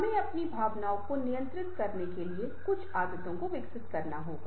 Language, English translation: Hindi, so we have to develop habits to control our emotion